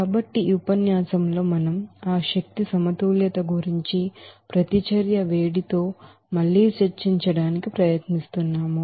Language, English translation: Telugu, So in this lecture we will try to again discuss about that energy balance with heat of reaction